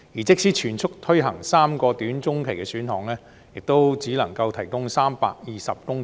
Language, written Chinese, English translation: Cantonese, 即使全速推行3個短中期的選項，亦只能提供320公頃土地。, Even taken forward at full speed the three short - to - medium - term options can provide 320 hectares only